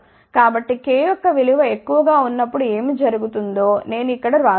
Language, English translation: Telugu, So, I have written here what happens for large value of k